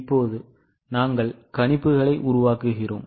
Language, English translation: Tamil, Now we are proceeding for making projections